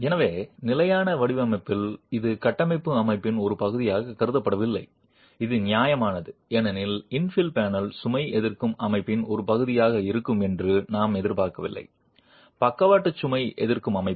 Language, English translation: Tamil, So, in standard design this is not considered to be a part of the structural system which is fair because we do not expect the infill panel to be a part of the load resisting system, the lateral load resisting system